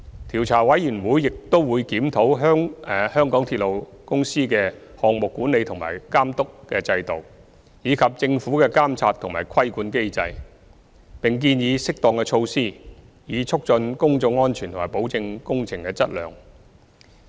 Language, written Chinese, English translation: Cantonese, 調查委員會亦會檢討港鐵公司的項目管理和監督等制度，以及政府的監察和規管機制，並建議適當措施，以促進公眾安全和保證工程的質量。, COI would also review MTRCLs project management system and supervision system etc . as well as the monitoring and regulatory mechanisms of the Government . It would also suggest appropriate measures in order to promote public safety and assurance on the quality of works